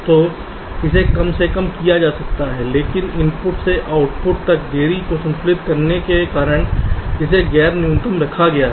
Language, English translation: Hindi, so this can be minimized, but this has been kept non means non minimized because of balancing the delays from inputs to outputs